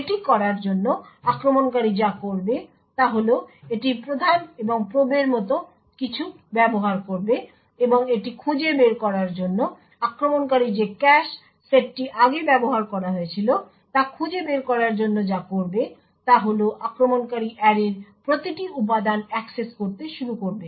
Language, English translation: Bengali, So in order to do this what the attacker would do is it would use something like the prime and probe what the attacker would do in order to find out which cache set was actually used previously, the attacker would start to access every element in the array